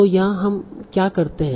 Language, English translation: Hindi, So here, so what we will do